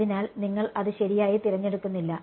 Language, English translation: Malayalam, So, you do not choose that right